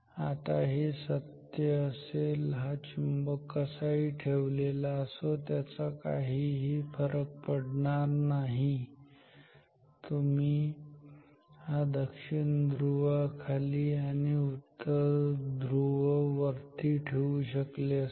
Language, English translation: Marathi, Now, and this is true no matter how this magnet is situated you could have this North Pole upwards and South Pole downwards